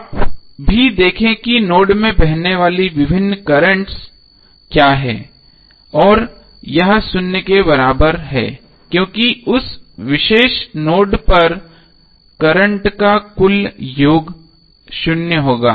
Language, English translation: Hindi, You will simply see what are the various currents flowing into the node and it equate it equal to zero because total sum of current at that particular node would be zero